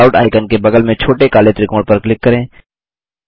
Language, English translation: Hindi, Click the small black triangle next to the Callout icon